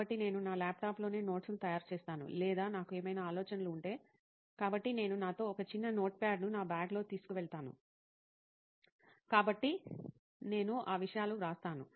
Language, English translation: Telugu, So I make notes on my laptop itself or if I have any ideas which come any times, so I you a short notepad with me which I carry in my bag, so I do write those things